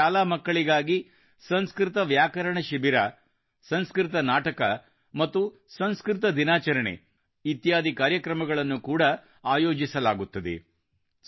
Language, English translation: Kannada, For children, these schools also organize programs like Sanskrit Grammar Camp, Sanskrit Plays and Sanskrit Day